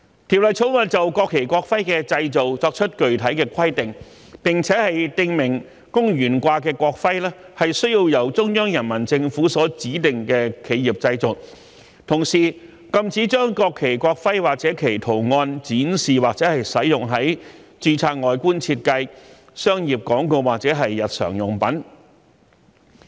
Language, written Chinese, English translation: Cantonese, 《條例草案》就國旗、國徽的製造，作出具體的規定，並訂明供懸掛的國徽須由中央人民政府所指定的企業製造，同時，禁止將國旗、國徽或其圖案展示或使用於註冊外觀設計、商業廣告或日常用品。, In respect of the manufacture of the national flag and national emblem the Bill lays down specific provisions and expressly provides that the national emblems for hanging have to be manufactured by enterprises designated by the Central Peoples Government . Also it prohibits the display or use of the national flag the national emblem or their designs in registered designs commercial advertisements or products in everyday life